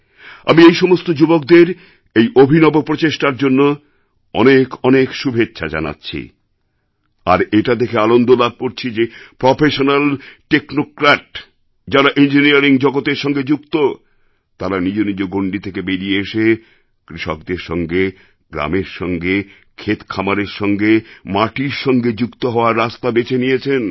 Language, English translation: Bengali, I congratulate these young people for this innovative experiment and I am happy that these young professionals, technocrats and others associated with the world of engineering, got out of their comfort zone to make a connect with the farmer, the village, fields and barns